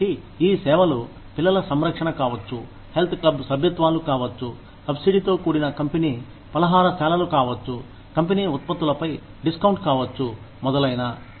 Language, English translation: Telugu, So, these services, could be childcare, could be health club memberships, could be subsidized company cafeterias, could be discounts on company products, etcetera